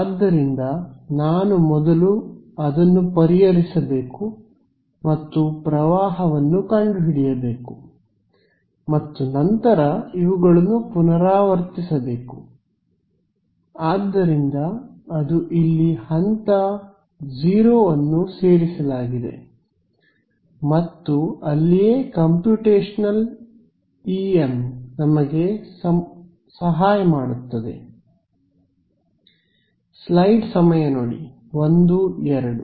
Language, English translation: Kannada, So, I have to solve and find out the current first then repeat these; so, that is the step 0 added over here, and that is where computational EM helps us ok